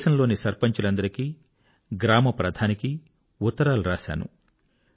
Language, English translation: Telugu, I wrote a letter to the Sarpanchs and Gram Pradhans across the country